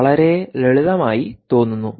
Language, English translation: Malayalam, looks simple, looks very simple